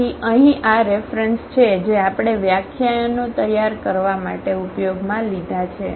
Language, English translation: Gujarati, And, these are the references used for this for preparing these lectures